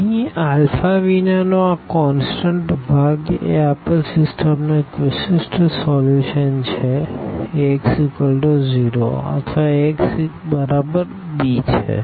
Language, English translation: Gujarati, Here this constant part without alpha this is a one particular solution of given system Ax is equal to 0 or sorry Ax is equal to b